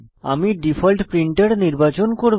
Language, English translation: Bengali, I will select my default printer